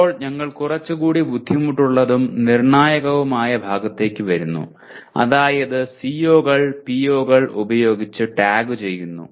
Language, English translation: Malayalam, Now come, the a little more difficult and critical part namely tagging the COs with POs